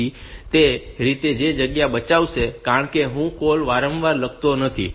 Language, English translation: Gujarati, So, that way it will save the space, because I do not I am not writing the code again and again